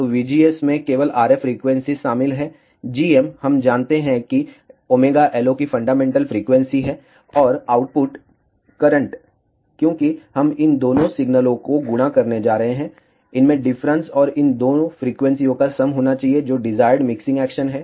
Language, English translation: Hindi, So, v gs contains only the RF frequency; g m we know that has ah fundamental frequency of omega LO; and the output current, because we are ah multiplying these two signals, should contain the difference and the sum of these two frequencies, which is the desired mixing action